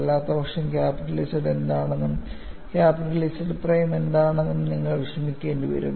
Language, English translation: Malayalam, ; Ootherwise, you will have to worry about what is capital ZZ and what is capital ZZ prime